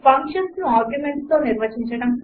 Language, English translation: Telugu, Define functions with arguments